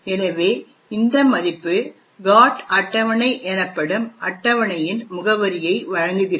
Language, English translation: Tamil, So, this value gives the address of a table known as a GOT table